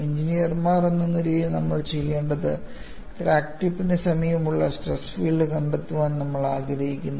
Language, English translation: Malayalam, As engineers, what we would do is we want to find out the stress field in the very near vicinity of the crack tip